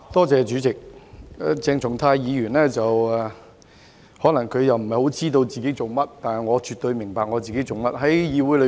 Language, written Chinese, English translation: Cantonese, 鄭松泰議員可能不太知道自己在做甚麼，但我絕對明白自己做些甚麼。, Dr CHENG Chung - tai probably does not know what he is doing but I certainly understand what I am doing